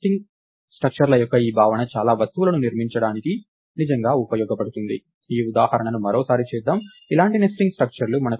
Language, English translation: Telugu, This notion of nest nested structures is really useful to construct a lot of things, lets do this example one more time, ah